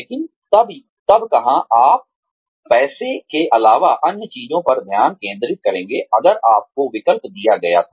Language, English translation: Hindi, But then, where, where would you focus on things, other than money, if you were given a choice